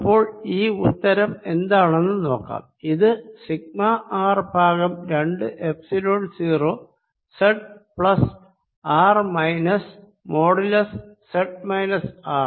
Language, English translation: Malayalam, this answer is: v z is equal to sigma r over two, epsilon zero z plus r minus modulus z minus r